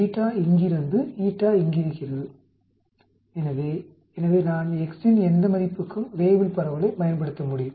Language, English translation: Tamil, Beta is there, eta is there so I can use the Weibull distribution for any value of x